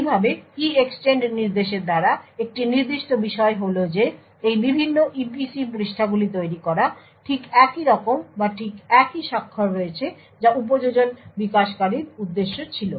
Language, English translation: Bengali, Thus, what is a certain by the EEXTEND instruction is that the creation of these various EPC pages is exactly similar or has exactly the same signature of what as what the application developer intended